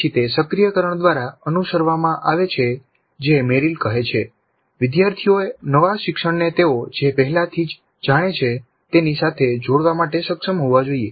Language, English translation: Gujarati, Then it is followed by the activation which as Merrill says the students must be able to link the new learning to something they already know